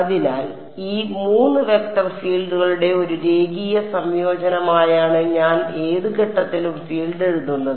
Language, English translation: Malayalam, So, I am writing the field at any point as a linear combination of these 3 vector fields